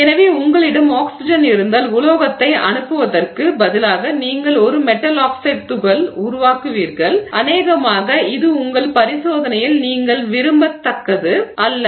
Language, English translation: Tamil, So, if you have oxygen there you will form, instead of sending the metal you will form a metal oxide particles which is probably not what you want in your experiment